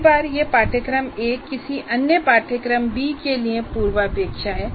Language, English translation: Hindi, And many times this course, course A is prerequisite to some other course B